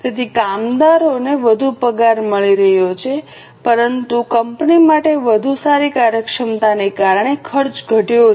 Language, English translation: Gujarati, So, workers are getting more pay but for the company the cost has gone down because of better efficiency